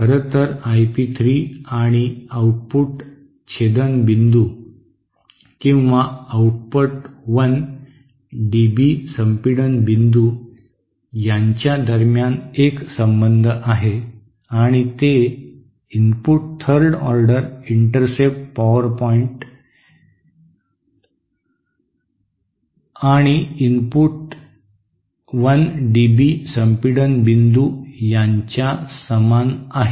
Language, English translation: Marathi, In fact, there is a relationship between I p 3 and output intercept point and the output 1 dB compression point and that is nearly equal to the input third order intercept point and the input 1 dB compression point